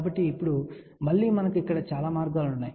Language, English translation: Telugu, So, now, again we have multiple paths here